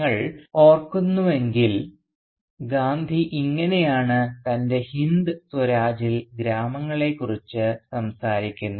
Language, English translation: Malayalam, This is how Gandhi speaks of the villages in his Hind Swaraj if you remember